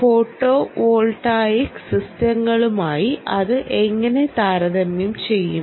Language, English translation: Malayalam, ok, how does it compare with a photovoltaic systems